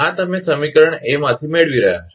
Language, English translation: Gujarati, This you are getting from equation A